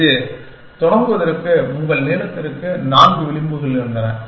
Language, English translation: Tamil, That, your length you had four edges in this to start with